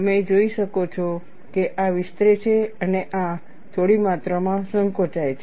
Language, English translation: Gujarati, You could see that this expands and this shrinks by a small amount